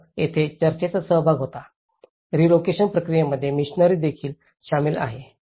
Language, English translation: Marathi, So, here, the church was involved, the missionary is also involved in the relocation process